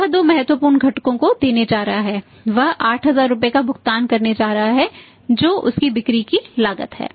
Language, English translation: Hindi, So, he is going to shell out too important components he's going to shell out 8000 rupees which is his cost of sales